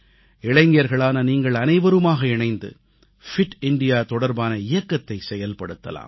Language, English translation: Tamil, In fact, all you young people can come together to launch a movement of Fit India